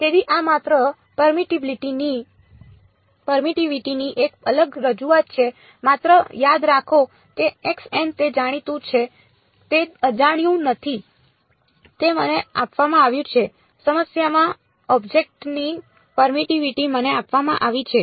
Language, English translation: Gujarati, So, this is just a discrete representation of permittivity just remember that x n is known it is not unknown its given to me in the problem the permittivity of the object is given to me ok